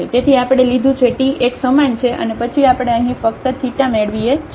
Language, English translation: Gujarati, So, we have taken the t is equal to one and then we get here just only theta